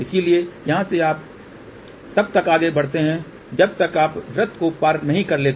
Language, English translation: Hindi, So, from here you move till you cross the circle